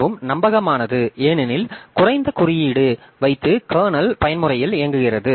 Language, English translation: Tamil, Then more reliable because less code is running in kernel mode